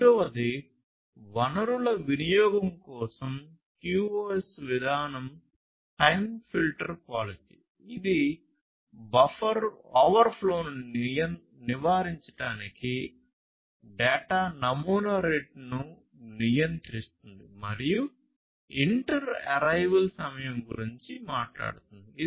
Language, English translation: Telugu, And the second one the QoS policy for resource utilization is time filter policy which controls the data sampling rate and this basically talks about the inter arrival time to avoid buffer overflow